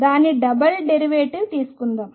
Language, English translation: Telugu, Let us take its double derivative